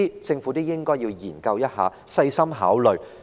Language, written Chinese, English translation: Cantonese, 政府應該研究及細心考慮上述建議。, The Government should examine and consider carefully the above proposals